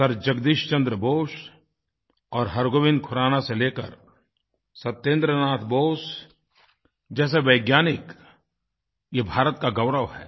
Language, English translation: Hindi, Right from Sir Jagdish Chandra Bose and Hargobind Khurana to Satyendranath Bose have brought laurels to India